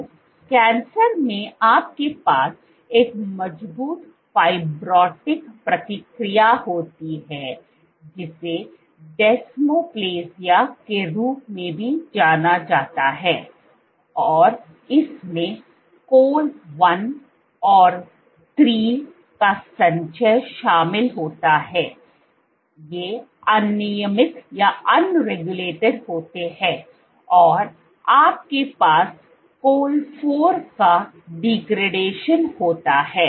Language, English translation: Hindi, So, in cancers you have a strong fibrotic response which is also known as desmoplasia and this involves accumulation of col 1 and 3, these are upregulated and you have degradation of col 4 this is degraded